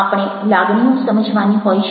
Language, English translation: Gujarati, we have to understand the feeling